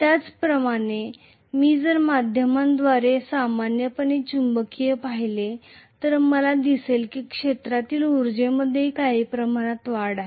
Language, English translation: Marathi, Similarly, if I look at the magnetic via media normally I may see that there is some increase in the field energy also